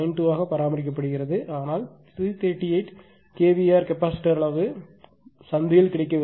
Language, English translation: Tamil, 92 right, but 338 kilo hour capacitor size is not available in the market